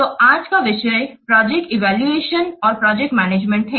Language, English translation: Hindi, So today's topic is project evaluation and program management